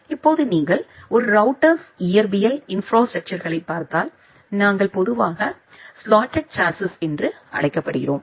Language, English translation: Tamil, Now, if you look into the physical infrastructure of a router, we normally use something called a slotted chassis